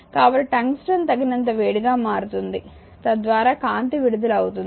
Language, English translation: Telugu, So, tungsten becomes hot enough so, that light is emitted